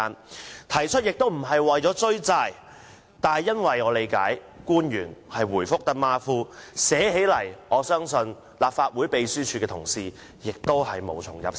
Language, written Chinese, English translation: Cantonese, 我提出這事，並非為了"追債"，因為據我理解，官員答覆馬虎，相信立法會秘書處同事在撰寫會議紀要時也無從入手。, I raise this issue not for collecting debts for I learnt that the government officials sloppy responses have made it difficult for Secretariat staff to prepare the minutes